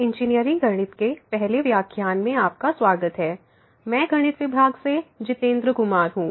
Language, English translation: Hindi, Welcome to the first lecture on Engineering Mathematics, I am Jitendra Kumar from the Department of Mathematics